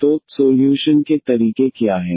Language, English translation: Hindi, So, what are the solution methods